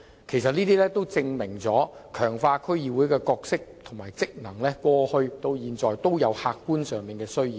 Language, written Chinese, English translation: Cantonese, 其實，這些措施都證明了強化區議會的角色和職能從過去到現在都有客觀上的需要。, Indeed these measures have proved that there is always a need to strengthen the role and functions of DCs